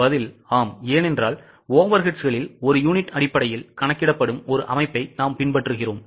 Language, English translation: Tamil, The answer is yes because we follow a system wherein the overheads are absorbed on per unit basis